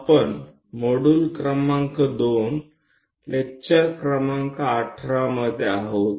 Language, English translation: Gujarati, We are in module number 2, lecture number 18